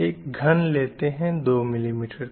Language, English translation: Hindi, It's a cube with 2 mm size